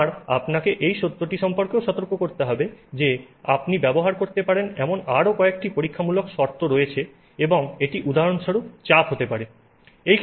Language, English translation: Bengali, I must also alert you to the fact that there are other experimental conditions that you can control and that could be for example pressure